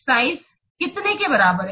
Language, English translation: Hindi, Size is equal to how much